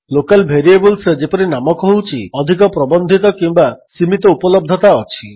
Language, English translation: Odia, Local Variables, which as the name suggests, have a more restricted or limited availability